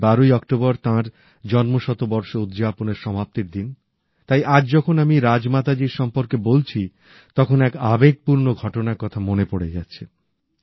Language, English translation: Bengali, This October 12th will mark the conclusion of her birth centenary year celebrations and today when I speak about Rajmata ji, I am reminded of an emotional incident